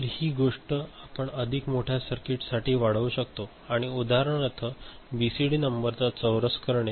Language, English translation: Marathi, So, similar thing you can extend for a more complex circuit and you know for example, squaring of a BCD number right